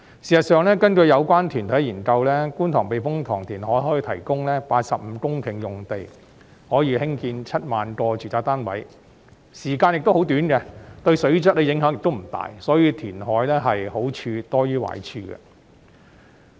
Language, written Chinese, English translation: Cantonese, 事實上，根據有關團體的研究，觀塘避風塘填海計劃可提供85公頃用地，興建7萬個住宅單位，而工程時間亦十分短，對水質的影響不大，所以填海的好處是多於壞處。, As a matter of fact according to the study by a relevant organization the Kwun Tong Typhoon Shelter reclamation project can provide 85 hectares of land for the construction of 70 000 housing units . Also the construction period is very short and there will not be any significant impact on the water quality so the merits of reclamation outweigh the demerits